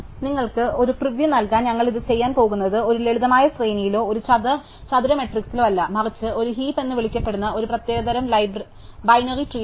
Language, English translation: Malayalam, To give you a preview, what we are going to do is to maintain it not in a simple array or a square matrix like this, but in a special kind of binary tree called a heap